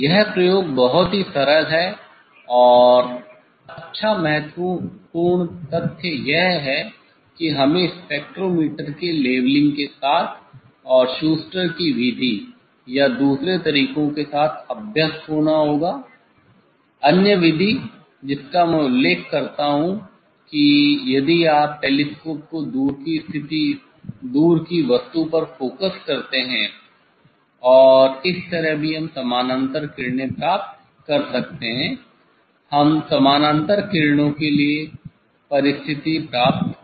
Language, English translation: Hindi, this experiment is very simple and nice important fact is that; we have to; we have to be habituated with the leveling of the spectrometer and with the Schuster s method or other ones, other method I mention that if you a focus the telescope instant object; that way also we can get the parallel, we can get the condition for parallel rays